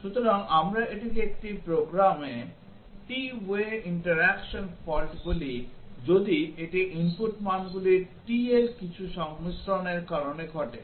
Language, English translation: Bengali, So, we call it t way interaction fault in a program if it is caused by some combinations of t of the input values